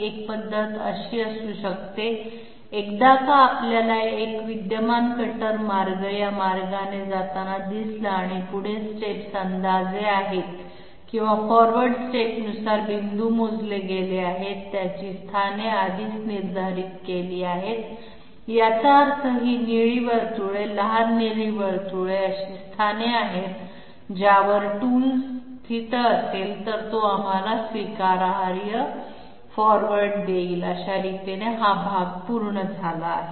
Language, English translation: Marathi, One method could be, once we see one existing cutter path moving this way and there are forward steps approximated or points calculated as per forward step, their locations are already determined that means these blue small blue circles are the positions at which if the tool is placed, it will give us acceptable forward steps that part is done